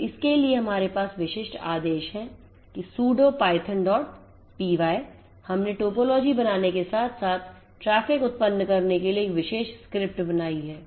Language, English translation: Hindi, So, for that we have the specific command that sudo python then we have created a particular script to create the topology as well as to generate the traffic